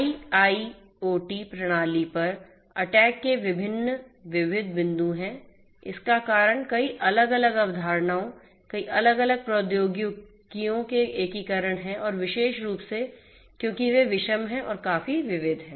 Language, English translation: Hindi, There are different diverse points of attack on the IIoT system due to the integration of so many different concepts, so many different technologies and particularly because they are homogeneous or sorry or their heterogeneous and are quite diverse